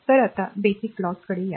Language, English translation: Marathi, So, we will now come to the Basic Laws